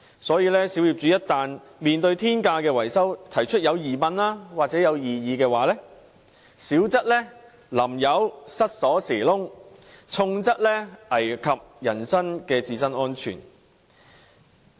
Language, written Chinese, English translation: Cantonese, 所以，小業主如在面對天價的維修費時提出質疑或異議，小則被人潑油、鑰匙孔被塞，重則危及人身安全。, Therefore when small property owners raised queries or objections to exorbitant maintenance costs they may in minor cases fall victim to paint - splashing or have their keyholes blocked whereas in more serious cases their personal safety may even be at stake